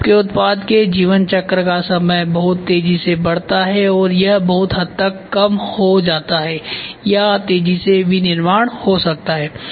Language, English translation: Hindi, So, your product life cycle time goes very fast or it is reduced to a large extents or rapid manufacturing can happen